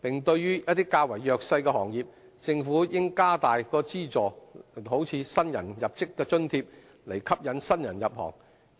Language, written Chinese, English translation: Cantonese, 對於較弱勢的行業，政府應加大資助，例如新入職津貼，以吸引新人入行。, The Government should also offer more financial assistance to support vulnerable trades and industries such as providing subsidies to newly recruits with a view to attracting more new blood to join